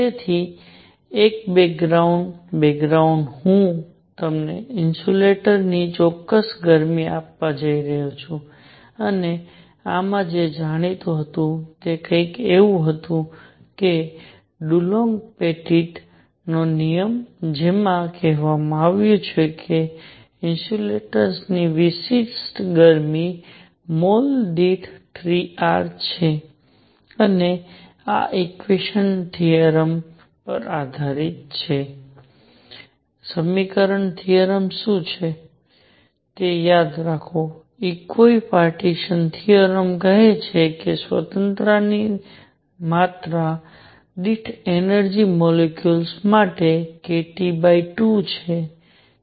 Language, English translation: Gujarati, So, a background, background I am going to give you a specific heat of insulators and what was known in this was something call that Dulong Petit law that said that specific heat of insulators is 3 R per mole and this was based on equipartition theorem; recall what equipartition theorem is; equi partition theorem says that energy per degree of freedom is k T by 2 for a molecule